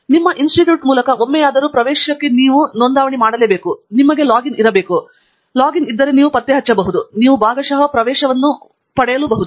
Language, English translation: Kannada, if you have already registered for access through your Institute, at least once, then it may effect that you have logged in and the provide you partial access